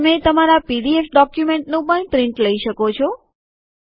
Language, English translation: Gujarati, You can also take a print out of your pdf document